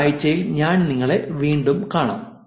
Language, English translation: Malayalam, I will see you in next week